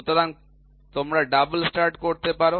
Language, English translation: Bengali, So, you can also have double start